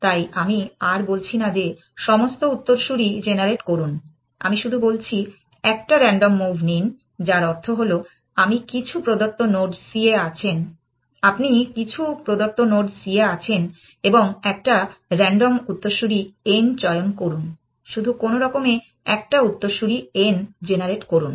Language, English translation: Bengali, So, I am no longer saying that generate all the successors, I am just saying make a random move which means, you are at some given node c and choose a random successor n, just somehow generate one successor n